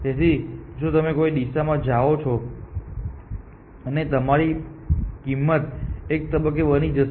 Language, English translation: Gujarati, So, if you go in some direction and some point your cost will becomes